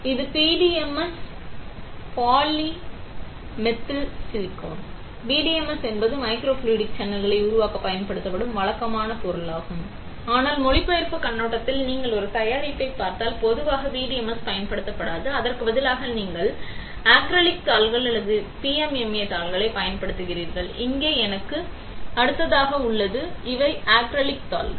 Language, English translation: Tamil, This is PDMS polydimethylsiloxane; PDMS is the usual material that is used to make microfluidic channels but from a translational point of view, if you look at a product usually PDMS is not used, instead you use acrylic sheets or PMMA sheets; that is here next to me, these are acrylic sheets